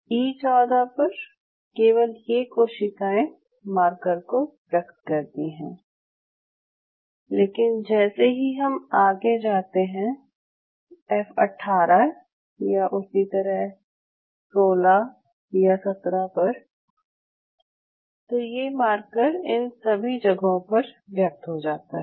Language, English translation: Hindi, This is that E14 the story at E14 only these cells are expressing this marker, but as time progresses as we move from F 18 and likewise, 16 17 then this antibody or this marker not antibody this marker is expressed all over